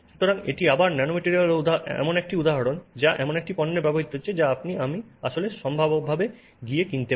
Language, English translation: Bengali, So, that's again an example of a nanomaterial being used in a product that you and I could actually potentially go and buy